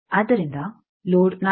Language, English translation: Kannada, So, let load be at 4